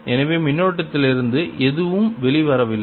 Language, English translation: Tamil, so there is no current, so there's nothing coming out of current